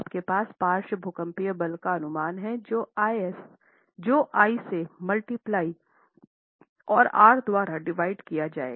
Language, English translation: Hindi, You have the lateral seismic force estimate multiplied by I and divided by R